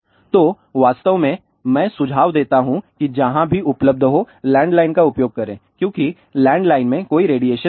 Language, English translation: Hindi, So, in fact, I do recommend that use the landline wherever it is available because landline has no radiation